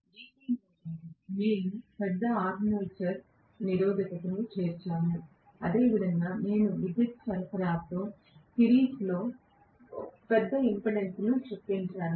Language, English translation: Telugu, In DC motor we inserted a large armature resistance; similar to that I will insert a large impedance in series with my power supply